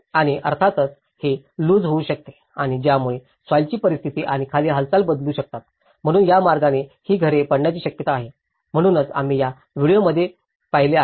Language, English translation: Marathi, And obviously, this can loosen and this can change the soil conditions and movement beneath, so in that way, there is a possibility that these houses may collapse, so that is what we have seen in those videos